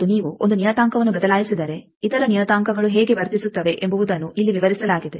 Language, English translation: Kannada, And also if you change a parameter how the other parameters are behaved that is described here